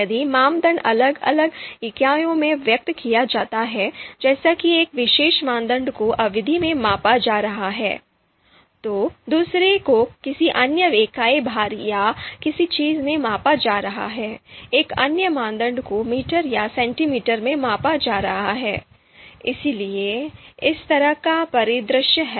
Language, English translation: Hindi, If the criteria if criteria are expressed in different units, so you know one particular criteria is being measured in duration, the another one is being measured in some other unit weight or something, the another criteria is being measured in meters or centimeters, so that kind of scenario is there